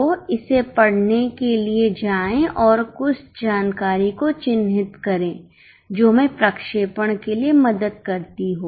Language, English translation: Hindi, So, go on reading it and mark some information which is going to help us for projection